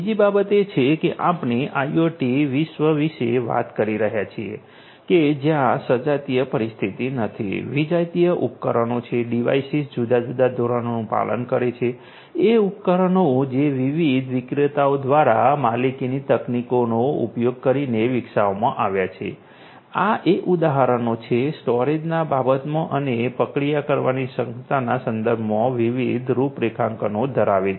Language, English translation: Gujarati, Second thing is that we are talking about in the IoT world, not a homogeneous kind of environment, heterogeneous devices; devices following different standards, devices which have been developed through proprietary means using proprietary technology by different different vendors, devices having you know different configurations with respect to storage, with respect to processing capability and so on